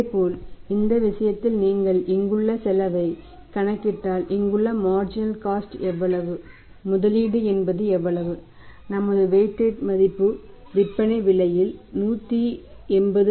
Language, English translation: Tamil, And similarly if you calculate the cost here in this case so the cost is marginal cost here is going to be how much 0